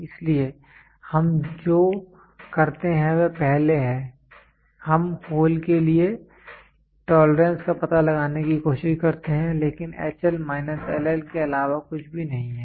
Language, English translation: Hindi, So, what we do is first, we try to figure out the tolerance the tolerance for hole is nothing, but H L minus LL